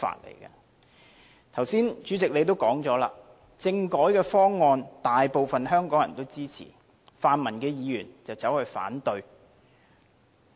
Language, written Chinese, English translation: Cantonese, 代理主席，你剛才也說了，政改方案大部分香港人也支持，泛民議員卻反對。, Deputy President you have rightly pointed out just now that a majority of Hong Kong people support the constitutional reform package . Pan - democratic Members have on the contrary opposed to it